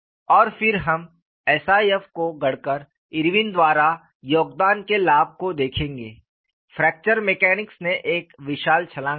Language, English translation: Hindi, And again, we will look at the advantage of the contribution by Irwin by coining SIF;, fracture mechanics took a giant leap forward